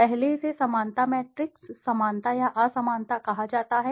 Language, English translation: Hindi, First it is called a similarity matrix, similarity or dissimilarity